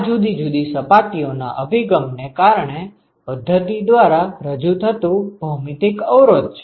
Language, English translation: Gujarati, This is the geometric resistance that is offered by the system because of the orientation of different surfaces